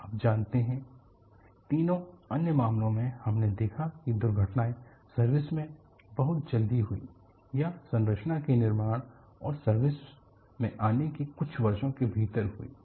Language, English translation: Hindi, You know,in all the three other cases, we saw that the accidents took place very early in the surface, or within few years after the structure is built and put into surface